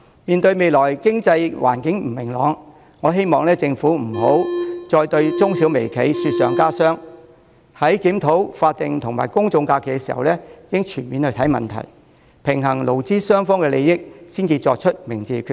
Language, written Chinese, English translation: Cantonese, 面對未來經濟環境不明朗，我希望政府不要再對中小微企雪上加霜，在檢討法定假日及公眾假期時應全面看問題，平衡勞資雙方的利益才作出明智的決定。, Considering the uncertain economic situations ahead I hope the Government will not add to the misfortunes of MSMEs . The Government should comprehensively review the issue of statutory holidays and general holidays and strike a balance between the interests of employers and that of employees before making a wise decision